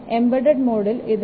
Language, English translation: Malayalam, 0 and for embedded mode it is 3